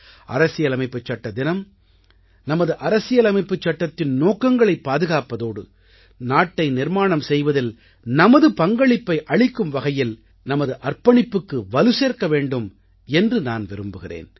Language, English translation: Tamil, I pray that the 'Constitution Day' reinforces our obligation towards upholding the constitutional ideals and values thus contributing to nation building